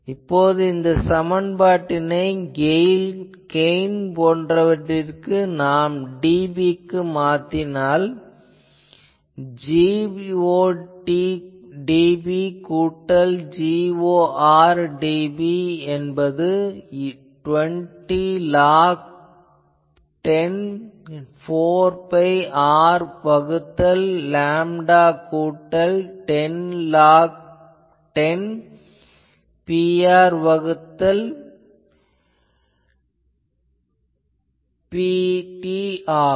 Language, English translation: Tamil, So, if that is their so I will have G ot dB equal to Gor dB is equal to half of this 20 log 10 4 pi R by lambda plus 10 log 10 P r by P t